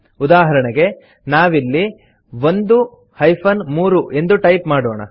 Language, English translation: Kannada, For eg we will type 1 3 here